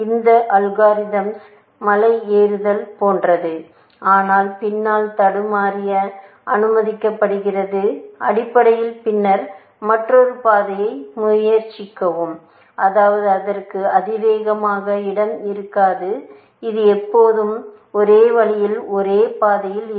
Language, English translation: Tamil, The algorithm is like hill climbing, but allowed to back track, essentially, and then, try another path; which means, it will not have exponential space; it will have only one path always in the main way